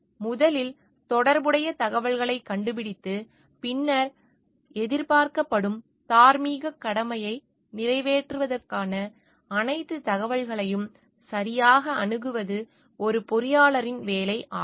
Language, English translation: Tamil, So, it is the job of an engineer to first find out relevant information and then, properly access all the information for meeting the expected moral obligation